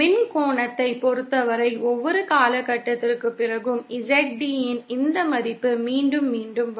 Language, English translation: Tamil, In terms of electrical angle, every after a period Pie, this value of ZD will repeat itself